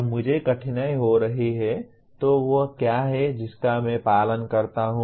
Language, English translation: Hindi, When I am having difficulty what is it that I follow